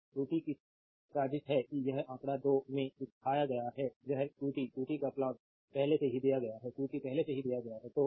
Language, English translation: Hindi, Now plot of qt and it shown in figure 2 this is the plot of your qt qt already given right qt is already given right